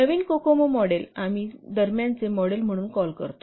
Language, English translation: Marathi, So the newer cocoa model we call as the intermediate model